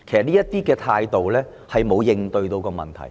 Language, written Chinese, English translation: Cantonese, 其實這種態度沒有正視問題。, Such an attitude indeed fails to squarely address the problems